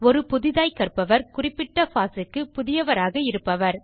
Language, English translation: Tamil, A novice is a person who is new to the particular foss